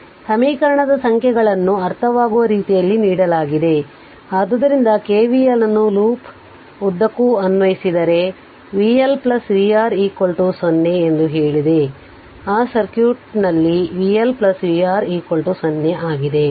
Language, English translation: Kannada, So, equation numbers are given understandable to you , so if you apply K VL ah along the loop we get I told you v L plus v R is equal to 0, in that circuit here v L plus v R is equal to 0